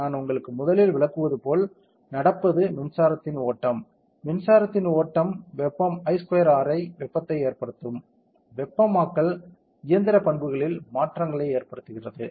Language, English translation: Tamil, As I have explain to you the first thing that happens is the flow of electric current, flow of electric current causes heating I square are heating, the heating causes changes in mechanical properties, correct